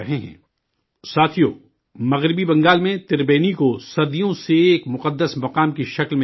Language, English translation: Urdu, Friends, Tribeni in West Bengal has been known as a holy place for centuries